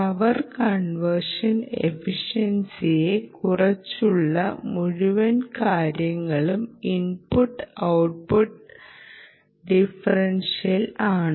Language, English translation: Malayalam, essentially, the whole thing discussion about power conversion efficiency is about the input output differential